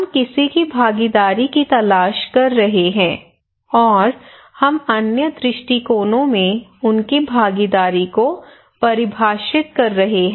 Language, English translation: Hindi, We are looking for someone’s participations and we are defining their participations in other perspective other terms